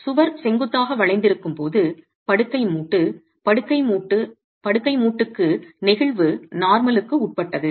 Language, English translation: Tamil, When the wall is in vertical bending the bed joint is subjected to flexure normal to the bed joint